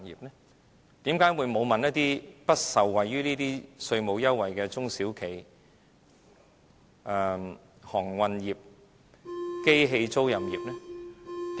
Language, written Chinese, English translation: Cantonese, 為甚麼沒有諮詢不受惠於這些稅務優惠的中小企業、航運業、機器租賃業呢？, Why has it not consulted SMEs marine sector machinery leasing sector and other sectors not receiving this tax concession?